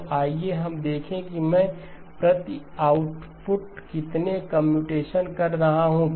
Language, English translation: Hindi, So let us look at how many computations I am doing per output